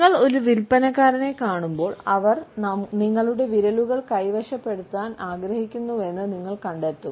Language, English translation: Malayalam, The moment you come across a salesperson, you would find that they want to occupy your fingers